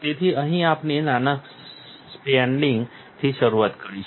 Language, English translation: Gujarati, So, here we will start with a small spreading